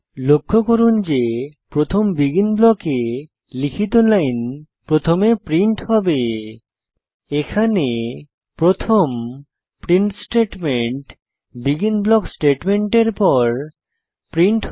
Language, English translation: Bengali, Notice that The line written inside the first BEGIN block gets printed first and The first print statement in the script actually gets printed after the BEGIN block statements